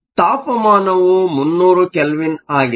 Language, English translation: Kannada, Temperature t is 300 kelvin